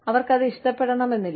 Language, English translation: Malayalam, They may not like it